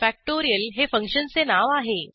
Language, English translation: Marathi, factorial is the function name